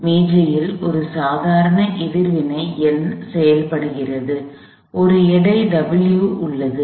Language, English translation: Tamil, There is a normal reaction N acting at the table, there is a weight W